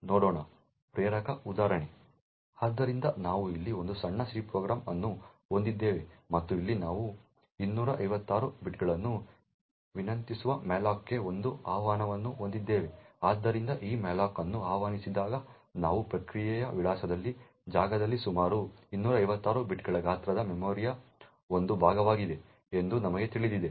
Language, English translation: Kannada, So we have a small C program here and what we have here is an invocation to malloc which request 256 bytes, so when this malloc gets invoked as we know that in the process address space a chunk of memory of the size which is approximately 256 bytes would get allocated and the pointer to that memory is present in buffer